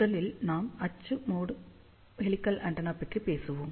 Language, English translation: Tamil, So, first we will talk about axial mode helical antenna